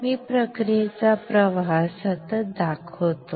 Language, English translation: Marathi, I will continuously show the process flow